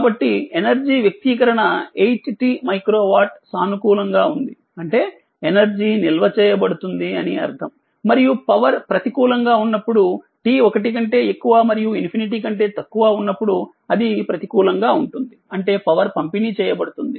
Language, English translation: Telugu, So, if you come to the power expression p that 8 t micro watt, so it is positive that means, energy is being stored and when power is negative when t greater than 1 less than infinity it is negative, that means power is being delivered